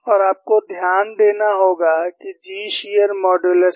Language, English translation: Hindi, And you have to note that, G is the shear modulus